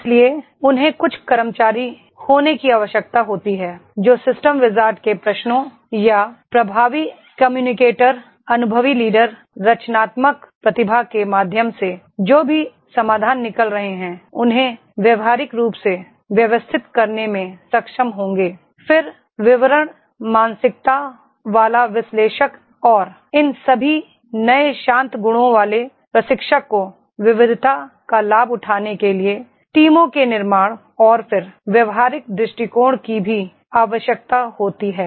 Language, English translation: Hindi, So they are required to be certain employees those who will be able to make the practically organising whatever the solutions which are coming out through the system wizard’s questions or the effective communicator, experienced leader, creative genius, then detail minded Analyst and all these hot trades are also required in the trainer to build the teams to leverage the diversity and then practical approach also